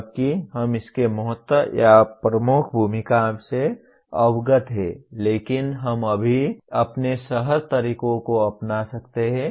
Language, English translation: Hindi, While we are aware of its importance or dominant role, but we can only adopt our intuitive methods right now